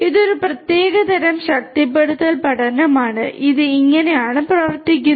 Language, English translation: Malayalam, This is a specific type of reinforcement learning and this is how it works